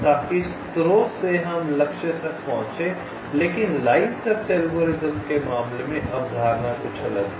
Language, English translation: Hindi, but in case of line search algorithm, the concept is somewhat different